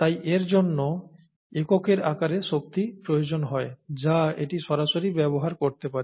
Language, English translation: Bengali, Therefore it requires energy in units that it can use directly, right